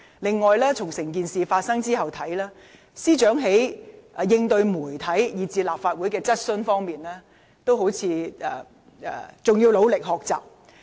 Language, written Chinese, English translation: Cantonese, 此外，從整件事發生後的情況來看，司長在應對傳媒以至立法會質詢方面，似乎還需努力學習。, In addition in hindsight the Secretary for Justice apparently has to work harder to improve her response to the media and to Members questions in the Legislative Council